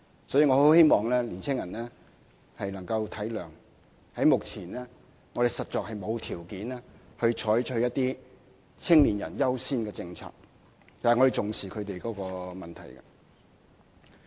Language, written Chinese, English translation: Cantonese, 所以，我很希望青年人能體諒，目前我們實在沒有條件採取一些"青年人優先"的政策，但我們重視他們的問題。, Hence I very much hope that young people can understand that at present we are not in a position to adopt certain young people first policies but we do attach importance to their problems